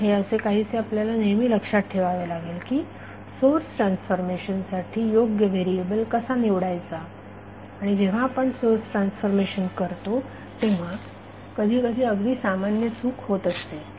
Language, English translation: Marathi, So, that something which we have to always keep in mind that how you choose the correct candidate for source transformation and sometimes this becomes a very common type of error when we do the source transformation